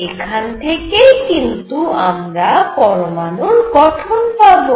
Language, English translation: Bengali, And this would give me structure of atom